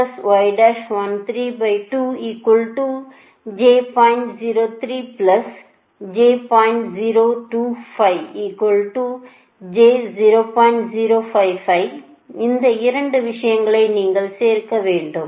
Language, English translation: Tamil, so this things, this, this two things you have to add